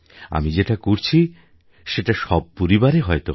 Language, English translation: Bengali, What I am doing must be happening in families as well